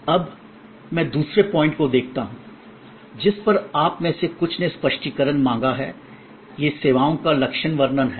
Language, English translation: Hindi, Now, let me look at the other point on which some of you have ask for clarification, these are characterization of services